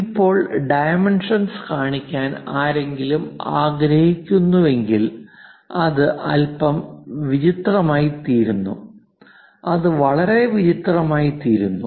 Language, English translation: Malayalam, Now, if someone would like to start showing the dimensions it becomes bit clumsy, it becomes very clumsy